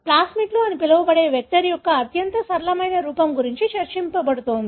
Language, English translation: Telugu, What is being discussed is the most simpler form of vector called as plasmids